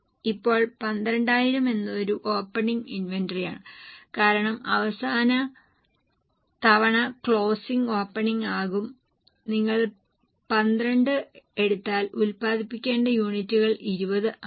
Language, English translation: Malayalam, Now, 12,000 is an opening inventory because last time closing will become opening and if you take 12, the units to be produced are 20